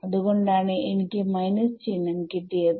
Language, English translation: Malayalam, So, there is no escaping the minus signs